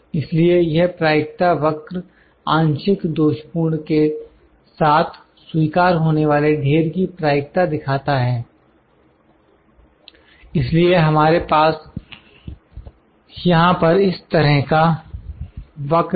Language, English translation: Hindi, So, the Probability curve this Probability curve shows that the probabilities of accepting lots with various fraction defectives so, we have this kind of curve here